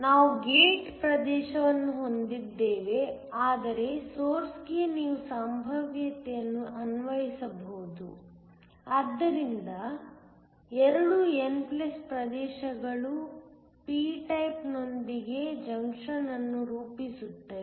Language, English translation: Kannada, We also have a gate region through which you can apply a potential, so the 2 n+ regions form a junction with a p type